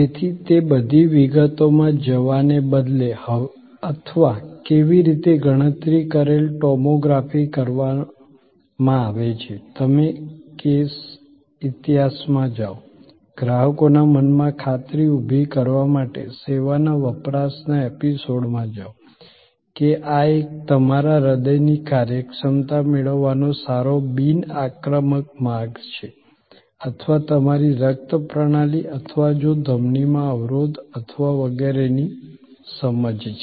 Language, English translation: Gujarati, So, there instead of getting into all those details or how computed tomography is done, you go in to case history, an episodes of service consumption to create the assurance in customers mind, that this is a good non invasive way of getting a good understanding of your hearts functioning or your blood system or if the arterial blockage or etc